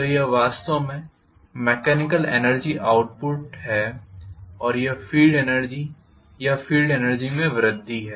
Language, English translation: Hindi, So this is actually the mechanical output and this is the field energy or increase in the field energy